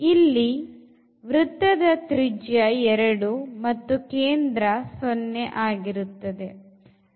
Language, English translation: Kannada, So, there is a circle here of radius this 2, centre 0